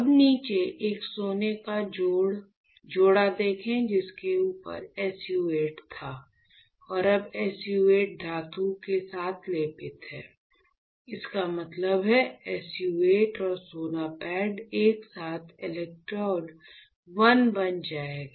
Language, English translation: Hindi, Now, you see you have a gold pair right at the bottom over that there you had SU 8 and now SU 8 is coated with metal; that means, SU 8 and gold pad together will become electrode 1, you got it